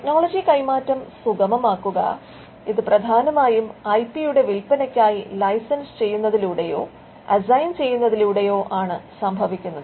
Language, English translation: Malayalam, Facilitating technology transfer this is done largely by licensing or assigning which is a sale of the IP